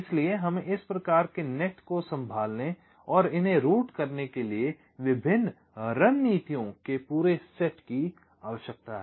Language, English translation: Hindi, so we need a whole set of different strategies to to handle and route these kinds of nets